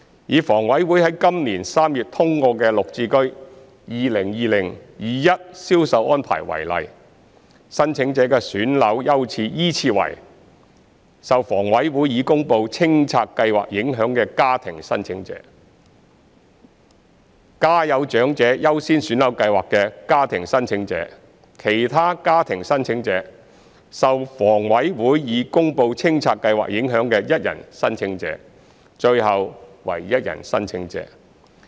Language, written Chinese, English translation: Cantonese, 以房委會於今年3月通過的綠置居 2020-2021 銷售安排為例，申請者的選樓優次依次為：受房委會已公布清拆計劃影響的家庭申請者、家有長者優先選樓計劃的家庭申請者、其他家庭申請者、受房委會已公布清拆計劃影響的一人申請者，最後為一人申請者。, Take the sales arrangements for GSH 2020 - 2021 approved by HA in March this year as an example . The priority in flat selection for applicants is as follows family applicants affected by HAs announced clearance programmes family applicants applying under the Priority Scheme for Families with Elderly Members other family applicants one - person applicants affected by HAs announced clearance programmes and the last one other one - person applicants